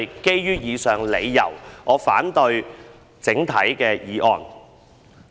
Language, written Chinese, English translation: Cantonese, 基於以上理由，我整體反對《條例草案》。, For the aforementioned reasons I oppose the Bill as a whole